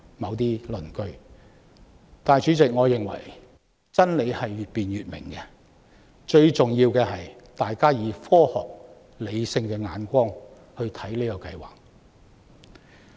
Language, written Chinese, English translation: Cantonese, 但是，代理主席，我認為真理是越辯越明的，最重要的是大家從科學和理性的角度去看這個計劃。, However Deputy President I hold that the more truth is debated the clearer it becomes . The most important thing is we can look at this programme from a scientific and rational perspective